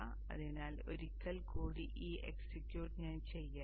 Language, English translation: Malayalam, So let me do that execution once again